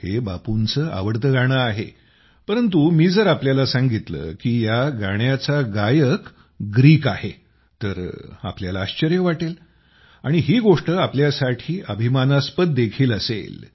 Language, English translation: Marathi, After all, this is Bapu'sfavorite song, but if I tell you that the singers who have sung it are from Greece, you will definitely be surprised